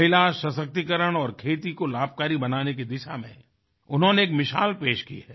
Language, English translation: Hindi, She has established a precedent in the direction of women empowerment and farming